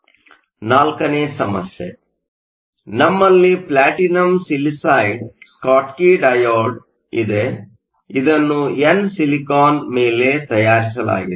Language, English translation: Kannada, So problem 4: we have a Platinum Silicide Schottky diode, is fabricated on n Silicon